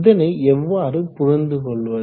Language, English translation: Tamil, So how do you read this